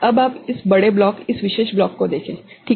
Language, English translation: Hindi, Now, you look at this larger block this particular block ok